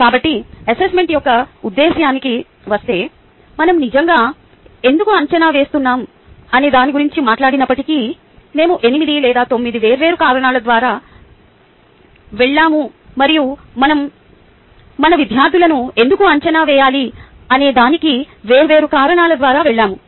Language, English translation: Telugu, so, going to the purpose of assessment, even though we have spoken about why do we really assess, we have gone through eight or nine different ah reason and going through different reasons of why we should be assessing our students